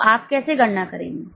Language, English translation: Hindi, So, how will you calculate